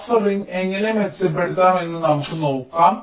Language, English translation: Malayalam, so lets see how buffering can improve, improve